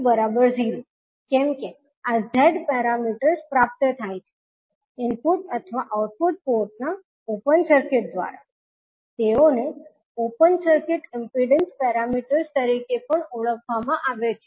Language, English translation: Gujarati, Since these Z parameters are obtained by open circuiting either input or output ports, they are also called as open circuit impedance parameters